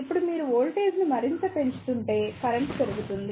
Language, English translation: Telugu, Now, if you increase the voltage further the current will increase